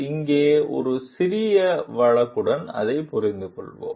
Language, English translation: Tamil, Let us understand it with a small case over here